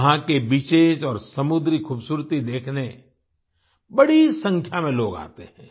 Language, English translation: Hindi, A large number of people come to see the beaches and marine beauty there